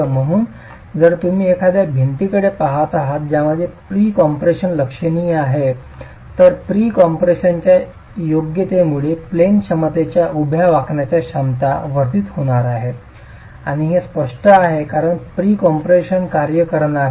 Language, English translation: Marathi, So, if you are looking at a wall which has significant pre compression, then its out of plane capacity, vertical bending capacity is going to be enhanced because of the presence of the pre compression, right